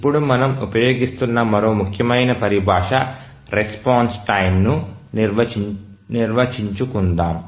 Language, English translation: Telugu, Now let's define another important terminology that we'll be using is the response time